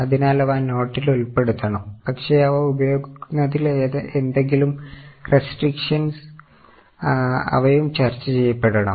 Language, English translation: Malayalam, So, they should also be shown by way of note but if there are restrictions on use of them they should also be disclosed